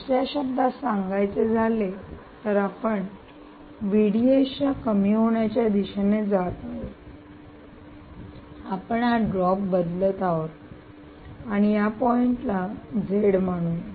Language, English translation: Marathi, in other words, you have gone in the direction of reduction in v d s, this drop, you are playing with this drop, and let us call this point as z